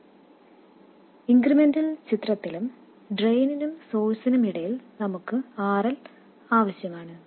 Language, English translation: Malayalam, And also in the incremental picture we need to have RL between drain and source